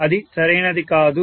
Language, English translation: Telugu, That is not right